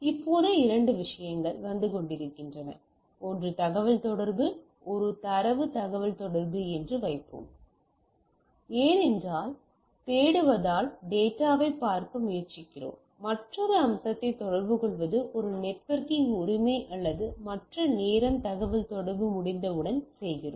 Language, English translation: Tamil, Now, two things are coming whenever we are discussing two stuff is coming one is communication, let us put it as a data communication because we are looking as, we are trying to look at data where we will communicate another aspect is a networking right or other time is what we do once the communication is there